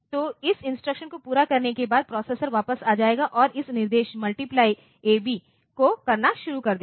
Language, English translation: Hindi, So, after completing this instruction the processor will come back and start this multiply ab this instruction